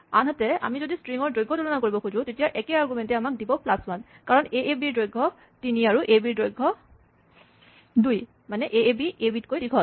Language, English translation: Assamese, If, on the other hand, we want to compare the strings by length, then, the same argument would give us plus 1, because, aab has length 3 and is longer than ab